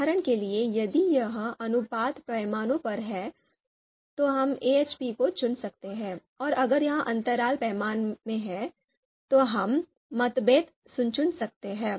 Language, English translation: Hindi, For example if it is ratio scale, we can pick AHP; if it is interval scale, we can pick MACBETH